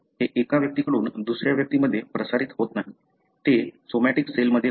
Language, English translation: Marathi, It does not get transmitted from one individual to other, it happens in a somatic cell